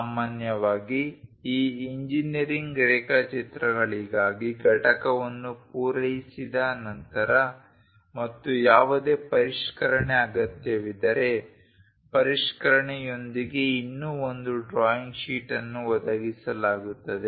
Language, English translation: Kannada, Usually, for these engineering drawings once component is meet and if there is any revision required one more drawing sheet will be provided with the revision